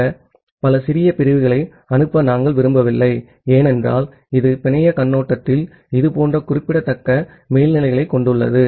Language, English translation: Tamil, And we do not want to send those multiple small segments, because it has such significant overhead from the network perspective